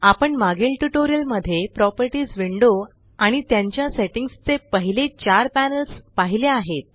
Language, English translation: Marathi, We have already seen the first four panels of the Properties window and their settings in the previous tutorials